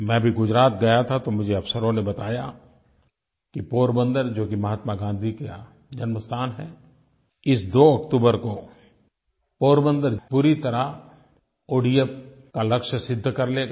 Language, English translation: Hindi, I visited Gujarat recently and the officers there informed me that Porbandar, the birth place of Mahatma Gandhi, will achieve the target of total ODF on 2nd October, 2016